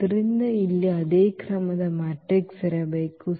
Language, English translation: Kannada, So, there should be a matrix here of the same order